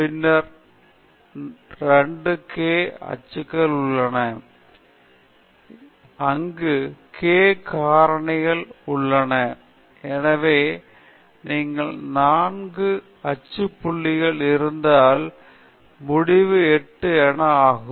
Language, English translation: Tamil, Then, you have 2 k axial points where, k is the number of factors, so you have again 4 axial points that makes it the total of 8